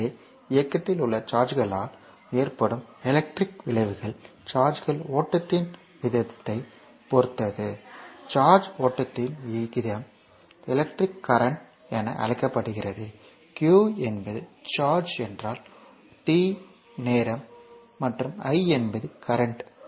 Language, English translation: Tamil, So, the electrical effects caused by charges in motion depend on the rate of charge flow, the rate of charge flow is known as the electric current suppose if q is the charge, t is the time and i is the currents